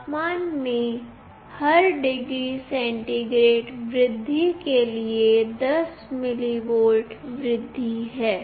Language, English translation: Hindi, There is a 10 mV increase for every degree centigrade rise in temperature